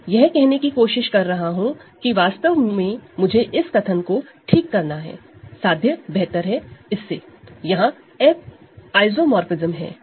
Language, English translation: Hindi, So, what I am trying to say is that, so let me actually amend this sentence here, the proposition is better than this there is an F isomorphism